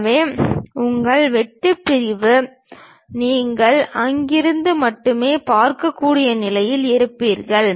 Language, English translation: Tamil, So, your cut section you will be in a position to see only from there